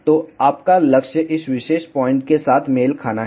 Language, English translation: Hindi, So, your target is to match with this particular point